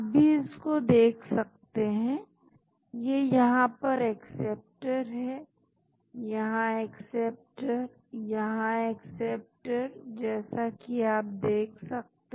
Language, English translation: Hindi, You can see this so, this is acceptor here, acceptor here, acceptor here as you can see this